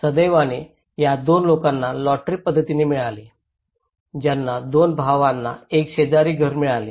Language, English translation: Marathi, Fortunately, these two people got in a lottery method, they got two brothers got an adjacent house